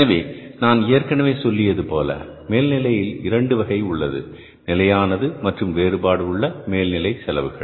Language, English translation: Tamil, So I I told you that there are the two kinds of the overheads, fixed and variable overheads